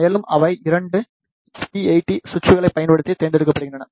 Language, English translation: Tamil, And, they are selected using the 2 SP AT switches